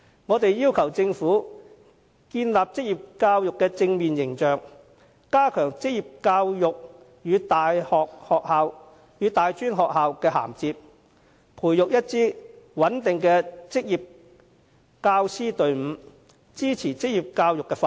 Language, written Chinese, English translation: Cantonese, 我們要求政府為職業教育建立正面形象、加強職業教育與大專院校的銜接，以及培育一支穩定的職業教師隊伍，支持職業教育的發展。, We call on the Government to build a positive image for vocational education enhance the interface between vocational education and tertiary institutions and nurture a stable team of vocational teachers to support the development of vocational education